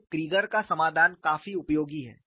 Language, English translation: Hindi, So, the solution by Creager is quite useful